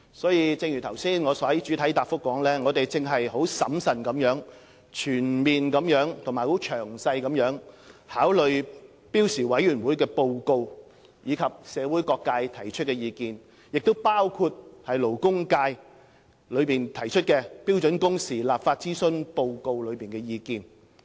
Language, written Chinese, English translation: Cantonese, 所以，正如我剛才在主體答覆中所說，我們正審慎地全面和詳細考慮標時委員會的報告，以及社會各界提出的意見，包括勞工界提交的《標準工時立法諮詢報告》所載的意見。, Therefore as I have pointed out just now in the main reply we are taking full account of the report of SWHC and the views of various sectors of the community carefully and thoroughly including the views contained in the Consultation Report on Legislating for Standard Working Hours submitted by the labour sector